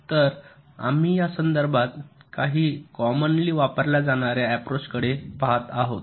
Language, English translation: Marathi, so we shall be looking at some of the quite commonly used approaches in this regard